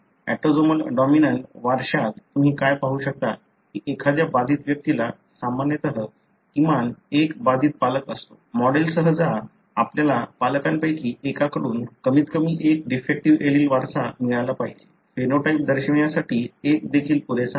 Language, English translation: Marathi, In an autosomal dominant inheritance what you would see is that an affected person usually has at least one affected parent; go with the model, you should have inherited at least one defective allele from one of the parents; even one is good enough to show the phenotype